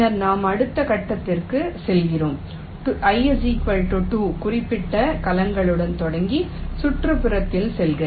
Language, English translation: Tamil, then we move to the next step: i equal to two, starting with the cells which are marked as on